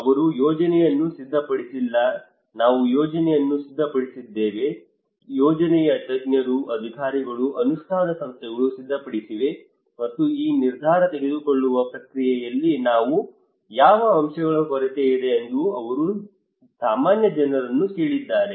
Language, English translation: Kannada, They did not prepare the plan we prepared the plan experts, authorities, implementing agencies they prepared the plan, and they are asking common people that what are the gaps there what are the components to be incorporated into this decision making process